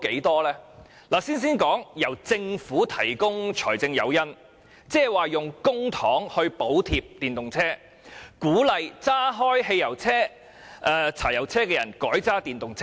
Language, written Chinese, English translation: Cantonese, 讓我先談政府提供的財政誘因，使用公帑補貼電動車車主，鼓勵駕駛汽油車或柴油車的人改用電動車。, Let me first talk about the Governments financial incentive of providing subsidies to EV owners with public money as a means of encouraging owners of petrol or diesel vehicles to switch to EVs